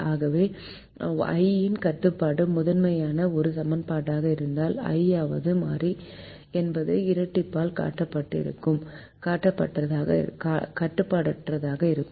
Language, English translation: Tamil, so if the i'th constraint is an a equation in the primal, then the i'th variable will be unrestricted in the dual